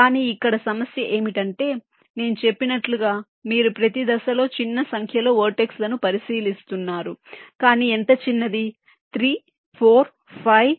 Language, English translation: Telugu, but the problem here is that, as i had said, you are considering small number of vertices at each steps, but how small